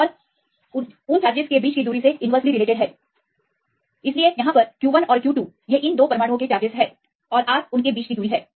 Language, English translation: Hindi, And inversely proportional to the distance between them; so, you can see q 1 and q 2 they are the charges of these two atoms and R is the distance between them